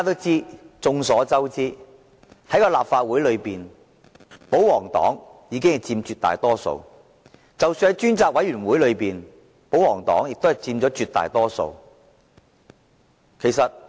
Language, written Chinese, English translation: Cantonese, 眾所周知，在立法會內，保皇黨佔絕大多數，在專責委員會內，保皇黨亦佔絕大多數。, As we all know the royalist camp commands a majority in the Legislative Council and likewise in the Select Committee